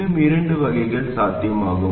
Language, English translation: Tamil, There are two more varieties that are possible